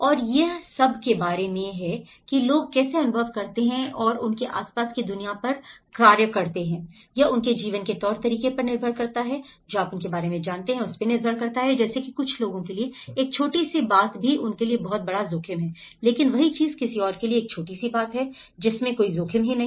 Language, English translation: Hindi, And itís all about how people perceive and act upon the world around them depends on their way of life you know for them, for some people how they are grown up a small thing is a huge risk for them but for the same thing may not be a risk at all